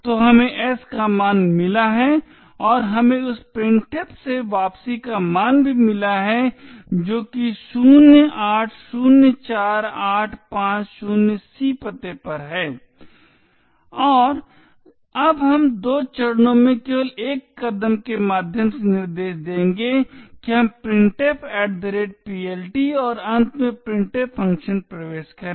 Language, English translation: Hindi, So we have got the value of s and we also have got the value of the return from the printf that is at the address 0804850c and now we will let will just single step through a couple of instructions we enter the printf@PLT and finally into the printf function